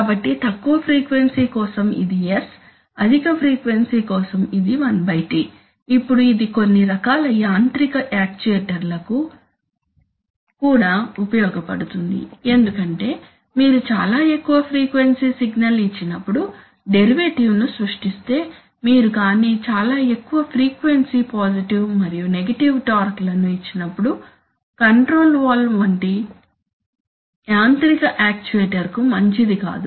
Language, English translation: Telugu, So the idea is that for low frequency it is S, for high frequency it is 1 / T, now this is also useful for some kinds of mechanical actuators, as I said that if you give a very high frequency signal and then creates derivative then you are going to give it very high frequency positive and negative torques which is not good for a mechanical actuator like a control valve, it might damage the valve